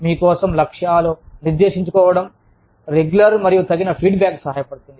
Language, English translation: Telugu, Setting goals for yourself, helps regular and appropriate feedback